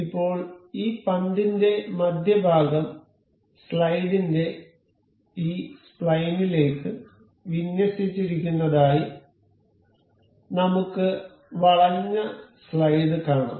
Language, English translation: Malayalam, Now, we can see that the center of this ball is aligned to this spline of the slide; curved slide